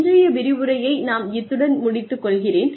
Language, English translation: Tamil, So, we will end today's lecture here